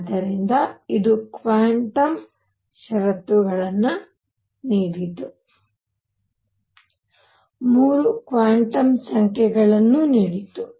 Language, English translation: Kannada, So, it gave the quantum conditions, gave 3 quantum numbers